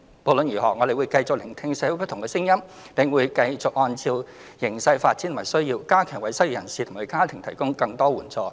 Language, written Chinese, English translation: Cantonese, 無論如何，我們會繼續聆聽社會不同聲音，並會繼續按照形勢發展及需要，加強為失業人士及其家庭提供更多援助。, In any case we will continue to listen to members of the public and provide more assistance for the unemployed and their families in the light of the development and needs